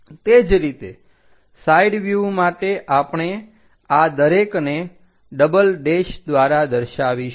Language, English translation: Gujarati, Similarly, for side view any of this we will show it as double’s